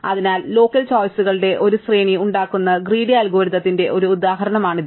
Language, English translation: Malayalam, So, this is always an example of a greedy algorithm where you make a sequence of local choices